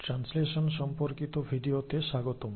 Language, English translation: Bengali, So, welcome back to the video on translation